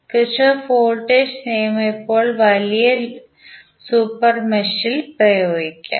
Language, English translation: Malayalam, So, if you apply Kirchhoff Voltage Law for the larger super mesh what you will get